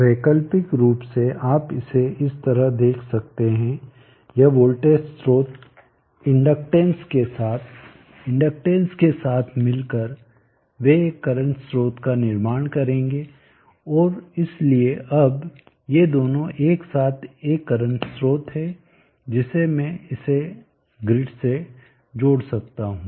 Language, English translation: Hindi, Alternately you can view it as this voltage source along with the inductance in conjunction with the inductance together they would form a current source and therefore now these two together is current source which I can connect to the grid